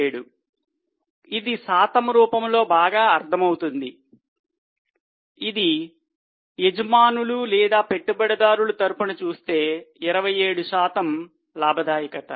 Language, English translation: Telugu, 27 as a percentage it is better understood, it means 27% is the profitability with respect to owners or shareholders